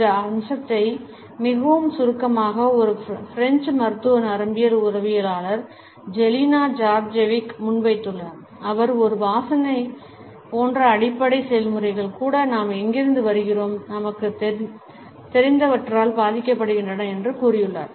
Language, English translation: Tamil, This aspect has been very succinctly put by Jelena Djordjevic, a French clinical neuropsychologist, who has said that even basic processes such as smelling a scent are influenced by where we come from and what we know